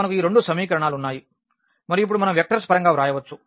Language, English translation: Telugu, So, we had these two equations and now we can write down in terms of the in terms of the vectors